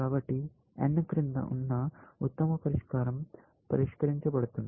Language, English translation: Telugu, So, this is the best solution below n is solved